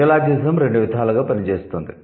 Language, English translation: Telugu, Neologism works in two ways